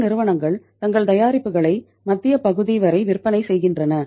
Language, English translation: Tamil, These companies are selling their product up to the central part